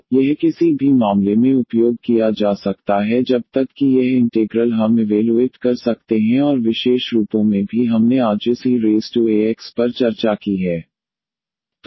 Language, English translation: Hindi, So, this can be used in any case as long as this integral we can evaluate and the special forms also we have discussed today this e power a x